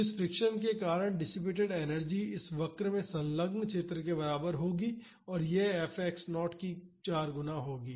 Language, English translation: Hindi, So, the energy dissipated due to this friction will be equal to the area enclosed in this curve and that will be 4 times F x naught